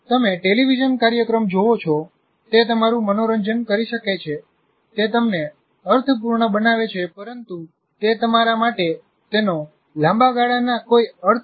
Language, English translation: Gujarati, You may watch a television program, it may entertain you, it makes sense to you, but it doesn't make, it has no long term meaning for you